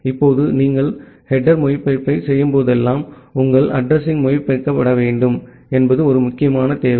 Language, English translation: Tamil, Now, whenever you are doing a header translation, an important requirement is that your address must be translated